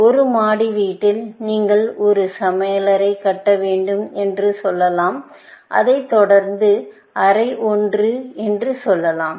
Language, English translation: Tamil, In a single storey house, may say that you have to make a kitchen, followed by, let us say, room one